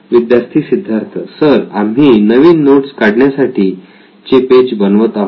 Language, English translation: Marathi, Student Siddhartha: We are creating a new note taking page sir